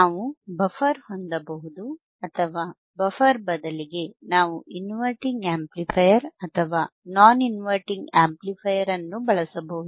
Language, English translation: Kannada, That is your summing amplifier, we can have the buffer or we can change the buffer in instead of buffer, we can use inverting amplifier or non inverting amplifier